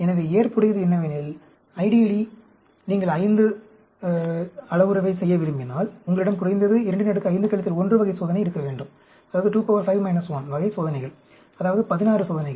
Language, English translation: Tamil, So, ideally, if you want to do a 5 parameter, you must have at least 2 power 5 minus 1 type of experiment; that means, 16 experiments